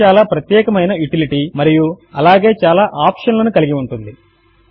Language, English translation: Telugu, This is a very versatile utility and has many options as well